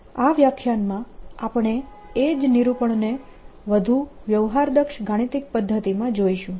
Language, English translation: Gujarati, in this lecture we are going to see the same treatment in a more sophisticated mathematical method